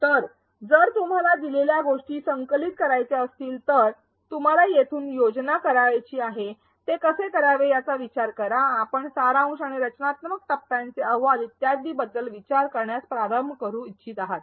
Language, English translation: Marathi, So, if you want to collect data this is where you want to plan, think about how to do it you want to start thinking about writing reports of the summative and formative phase and so on